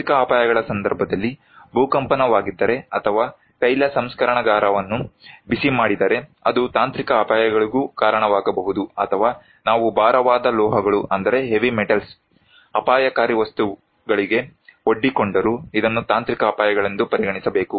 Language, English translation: Kannada, In case of technological hazards like, if there is an earthquake or heating an oil refinery, it can also cause technological hazards or even if we are exposed to heavy metals, hazardous materials, this should be considered as technological hazards